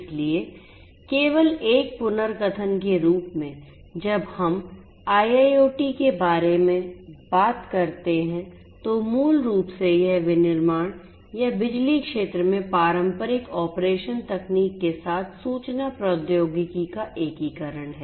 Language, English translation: Hindi, So, just as a recap when we talk about IIoT basically it is the integration of information technology with the conventional operation technology in the manufacturing or power sector